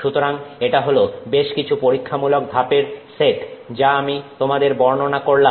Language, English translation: Bengali, So, this is a set of experimental steps that I have described you